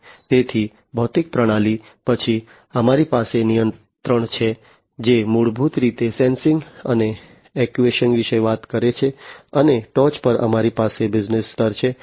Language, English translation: Gujarati, So, physical system, then we have the control which is basically talking about sensing and actuation, and on top we have business layer